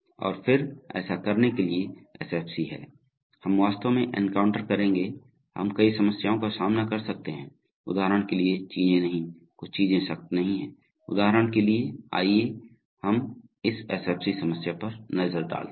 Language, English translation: Hindi, And then, while going to do this is SFC, we will actually encounter, we can encounter several problems, for example we may find that things are not, some things are not strict, for example let us look at the let us look at the SFC of this problem